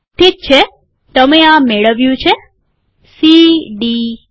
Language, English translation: Gujarati, Okay, youve got this c, d, e